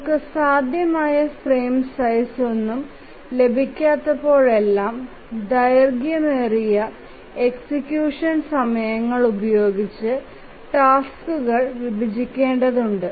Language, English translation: Malayalam, So, whenever we cannot really get any feasible frame size, we need to split the tasks with longer execution times